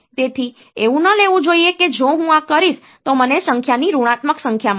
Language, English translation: Gujarati, So, it should not take that if I do this I will get a negative of a number